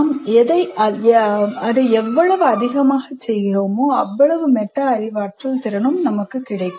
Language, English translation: Tamil, The more we do that, the more metacognitive ability that we will get